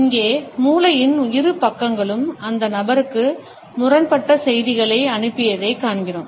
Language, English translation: Tamil, Here, we find that the two sides of the brain sent conflicting messages to the person